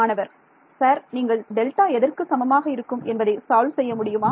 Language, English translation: Tamil, Sir, you please solve delta is equals to